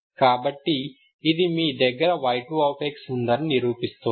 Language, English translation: Telugu, So this is actually satisfying y 2